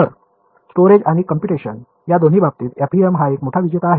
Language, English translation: Marathi, So, both in terms of storage and computation FEM is a big winner